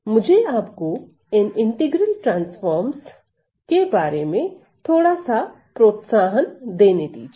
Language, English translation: Hindi, So, let me just introduce let me just introduce the idea of integral transforms